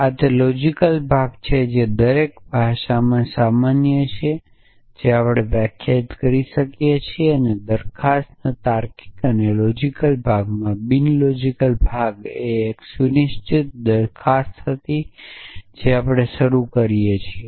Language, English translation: Gujarati, So, this is the logical part which is common in every language that we define and the non logical part in proposition logic and non logical part was a set up proposition that we start off which essentially